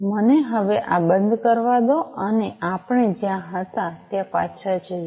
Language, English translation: Gujarati, So, let me now close this and go back to where we were